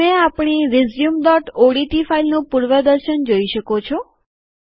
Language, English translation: Gujarati, You can see the preview of our resume.odt file